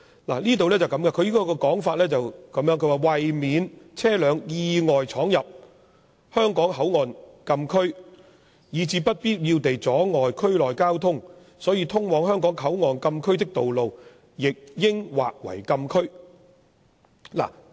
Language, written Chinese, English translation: Cantonese, 立法會參考資料摘要是這樣寫的："為免車輛意外闖入香港口岸禁區，以致不必要地阻礙區內交通，通往香港口岸禁區的道路亦應劃為禁區"。, The Legislative Council Brief reads to prevent the unintentional entry of vehicles into the [Hong Kong Port] closed area which may cause unnecessary traffic disruption to the area the access roads leading to the [Hong Kong Port] closed area should also be delineated as closed area